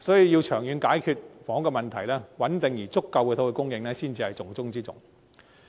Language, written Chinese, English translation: Cantonese, 要長遠解決房屋的問題，穩定充足的土地供應才是重中之重。, To resolve housing problem in the long run the top priority is to maintain a sufficient supply of land